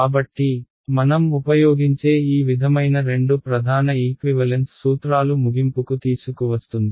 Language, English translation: Telugu, So, this sort of brings us to an end of the two main equivalence principles that we use